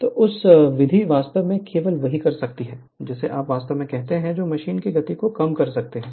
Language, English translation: Hindi, So, this method you can only your, what you call, you can only decrease the speed of the machine